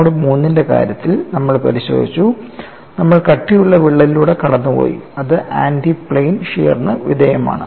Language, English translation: Malayalam, In the case of mode 3, we have looked at, we have taken a through the thickness crack and it is subjected to anti plane shear